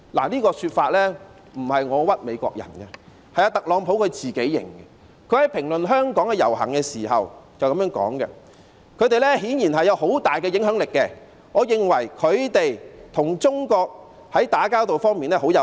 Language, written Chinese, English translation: Cantonese, 這說法不是我冤枉美國人的，是特朗普自己承認的，他在評論香港的遊行時說："他們顯然有很大的影響力，我認為他們在與中國打交道方面很有效。, This is no wrong accusation made by me against the Americans for it was admitted by Donald TRUMP . In commenting the rallies in Hong Kong he said Theyre obviously having a big impact And I think that theyve been very effective in their dealings with China